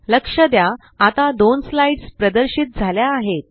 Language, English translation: Marathi, Notice, that two slides are displayed now